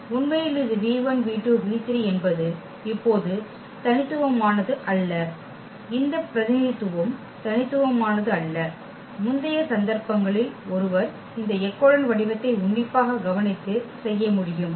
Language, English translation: Tamil, In fact, this it is not unique now this representation is not unique while in the earlier cases one can closely observe and doing this echelon form